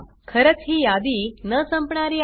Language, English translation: Marathi, Indeed, this list is endless